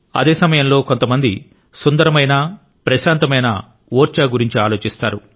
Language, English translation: Telugu, At the same time, some people will think of beautiful and serene Orchha